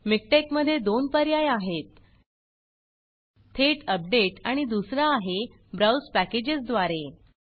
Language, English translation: Marathi, In MikTeX, there are two options, one is update directly the other is through browse packages